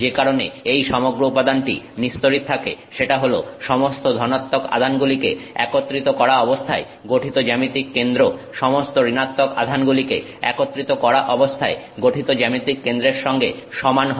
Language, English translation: Bengali, The reason it is the overall material is neutral is that the center, the geometric center of all the positive charges put together is the same as the geometric center of all the negative charges put together